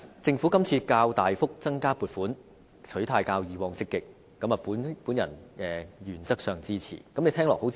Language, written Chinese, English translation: Cantonese, 政府今次較大幅增加撥款，取態較以往積極，我原則上支持。, In this Budget the Government has increased the provisions quite substantially and adopted a more proactive attitude . This I support in principle